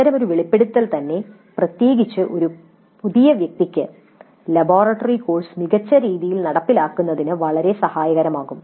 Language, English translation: Malayalam, So, such an exposure itself, particularly for a novice, would be very helpful in implementing the laboratory course in a better fashion